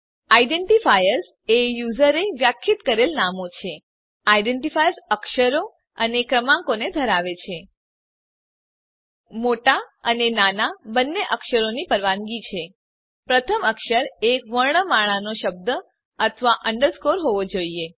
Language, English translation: Gujarati, Identifiers are user defined names An identifier consists of letters and digits Both uppercase and lowercase letters are permitted First character must be an alphabet or underscore